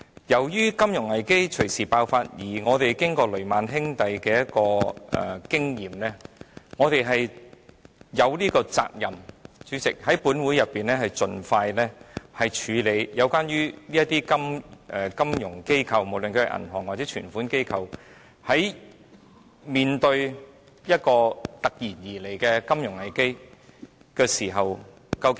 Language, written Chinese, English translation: Cantonese, 由於金融危機隨時爆發，加上我們在雷曼兄弟事件中得到的經驗，主席，我們有責任在本會盡快處理有關的金融機構，無論是銀行或接受存款機構，究竟應如何面對突然而來的金融危機這課題。, Given that a financial crisis may break out anytime coupled with the experience we gained from the Lehman Brothers incident President we in this Council are duty - bound to address as soon as possible the issue of how the financial institutions be they banks or deposit - taking companies should cope with the sudden onslaught of a financial crisis